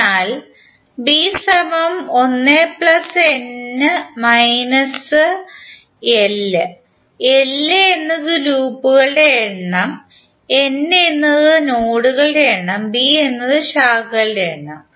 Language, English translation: Malayalam, So b is nothing but l plus n minus one, number of loops, n is number of nodes and b is number of branches